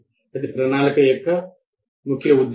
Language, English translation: Telugu, That is a purpose of planning